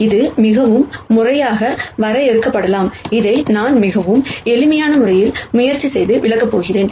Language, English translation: Tamil, This can also be very formally defined, what I am going to do is, I am going to try and explain this in a very simple fashion